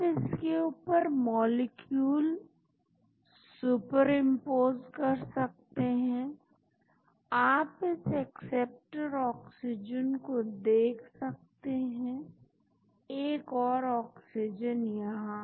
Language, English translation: Hindi, You can super impose the molecules on top of that, you will see this acceptor oxygen, oxygen one more here